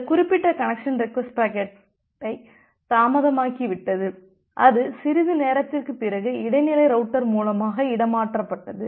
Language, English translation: Tamil, It may happen that this particular connection request packet got delayed and it was transferred by the intermediate router after sometime